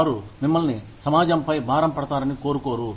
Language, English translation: Telugu, They do not want you, to be a burden on society